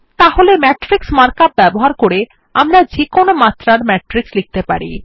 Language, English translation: Bengali, So using the matrix mark up, we can write matrices of any dimensions